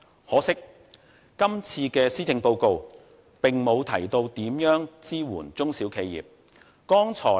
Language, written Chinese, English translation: Cantonese, 可惜，今次的施政報告並沒有提到如何支援中小企業。, Unfortunately this time around the Policy Address fails to mention how SMEs should be helped